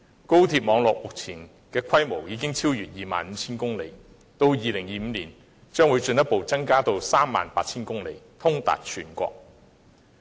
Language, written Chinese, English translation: Cantonese, 高鐵網絡目前的規模已經超越 25,000 公里，到了2025年更會進一步增至 38,000 公里，通達全國。, The current scale of the high - speed rail network exceeds 25 000 km and it will further increase to 38 000 km by 2025 connecting the whole country